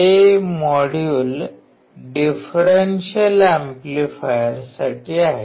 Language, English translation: Marathi, This module is for the Differential amplifier